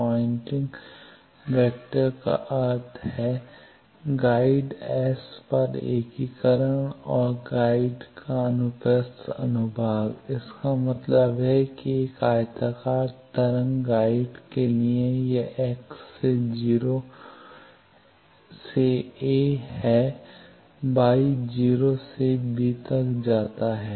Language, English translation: Hindi, Pointing vector then integration over the guide S means the transverse cross section of the guide; that means, for a rectangular wave guide it is from the x is from 0 to a, y goes from 0 to b